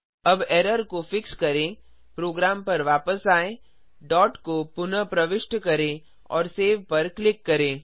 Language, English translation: Hindi, Let us now fix the error come back to a program.Reinsert the dot .click on save Let us compile and execute